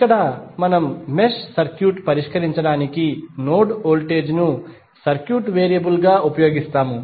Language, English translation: Telugu, Here we will usenode voltage as a circuit variable to solve the circuit